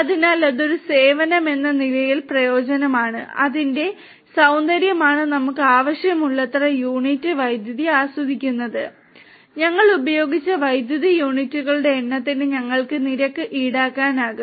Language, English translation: Malayalam, So, that is utility as a service and the beauty about it is that we keep on enjoying as many units of electricity as we need and we will be billed for the number of units of electricity that we have used